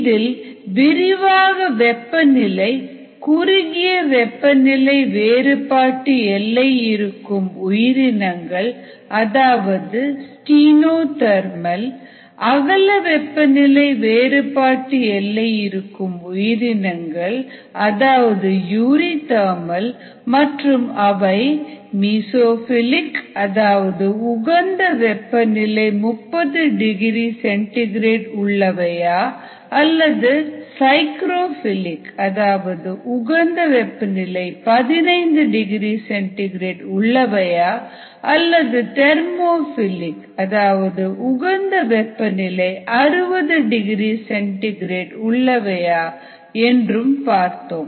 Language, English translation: Tamil, we had seen some details of temperature, the kind of organisms, depending on whether their temperature range of growth is narrow in a thermal or rod you re thermal and whether ah the organism is mesophile, depending on it's optimum temperature around thirty degree c, whether it's psychrophile ah optimum temperature fifteen degree c or ah thermophile optimum temperature sixty degree c